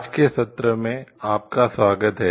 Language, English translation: Hindi, Welcome to today s session